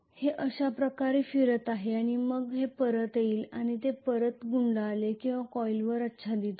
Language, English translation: Marathi, It is going to go round like this and then it will come back and it will fold back or overlap on the coil